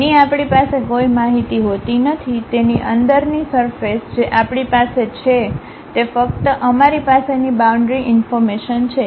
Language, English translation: Gujarati, A surface inside of that which we do not have any information, what we have is only the boundary information's we have